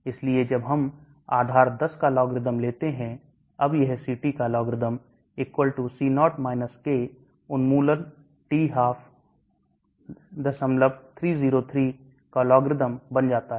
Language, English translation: Hindi, So when we take logarithm to the base 10 then it becomes logarithm of CT = logarithm C0 minus K elimination t/2